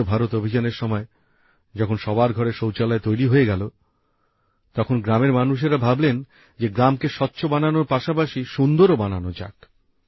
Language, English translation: Bengali, Under the Swachh Bharat Abhiyan, after toilets were built in everyone's homes, the villagers thought why not make the village clean as well as beautiful